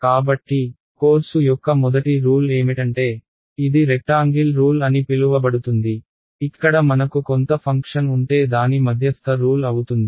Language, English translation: Telugu, So, the first rule of course is the what is called as the; is called the rectangle rules, its the midpoint rule that if I have some function over here